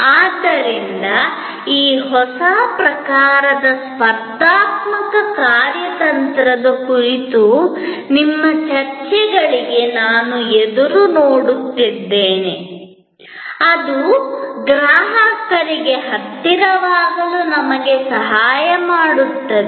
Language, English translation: Kannada, So, I would look forward to your discussions on these new forms of competitive strategy to what extend it helps us to get closer to the customer